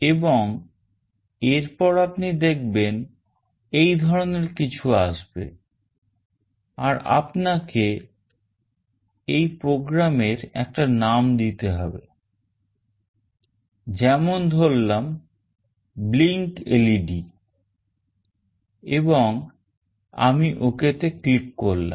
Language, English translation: Bengali, And then you see that something like this will come up, and you have to give a name to this program, let us say blinkLED and I click ok